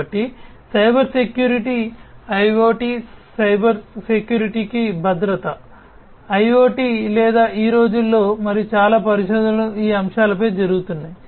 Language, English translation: Telugu, So, Cybersecurity, security for IoT security for IIoT or hot topics nowadays, and lot of research are going on these topics